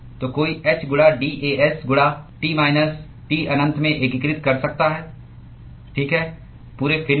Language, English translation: Hindi, So, one could integrate h into d A s into T minus T infinity, okay, across the whole fin